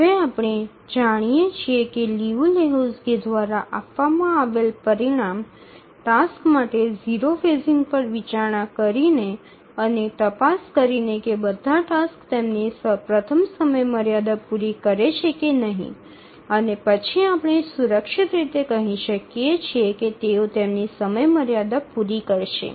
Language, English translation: Gujarati, Now we know the result given by Liu Lehuzki that consider zero phasing for the tasks and check if all the tasks meet their first deadline and then we can safely say that they will meet all their deadlines